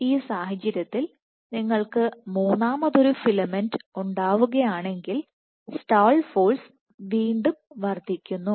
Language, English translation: Malayalam, In this case if you have a third filament which forms then again the stall force will increase